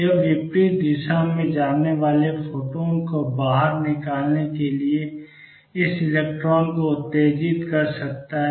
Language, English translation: Hindi, It can stimulate this electron to give out the photon going the opposite direction